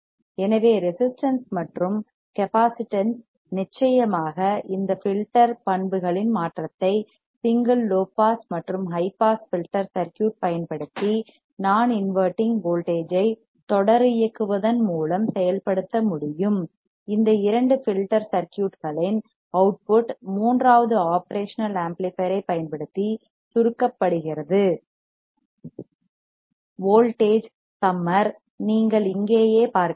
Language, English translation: Tamil, So, resistance and capacitance of course, transformation of this filter characteristics can be implemented a single using a single low pass and high pass filter circuit by non inverting voltage follower, the output from these two filter circuit is summed using a third operational amplifier called a voltage summer, which you can see here right